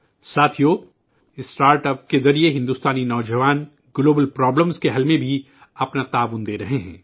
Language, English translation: Urdu, Indian youth are also contributing to the solution of global problems through startups